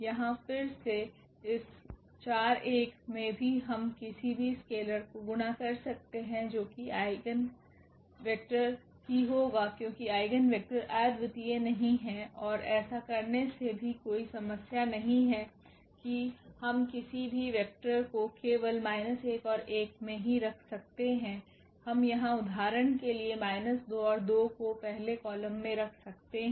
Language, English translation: Hindi, Again here also this 4 1 we can multiply by any scalar that will also be the eigenvector, because eigenvectors are not unique and by doing so, also there is no problem we can keep any vector here not only minus 1 and 1, we can also place for example, minus 2 and 2 here in the first column